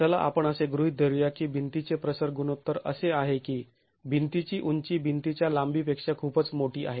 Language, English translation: Marathi, Let us assume the wall is of an aspect ratio such that the height of the wall is much larger than the length of the wall